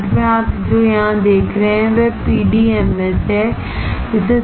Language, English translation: Hindi, Finally, what you see here is PDMS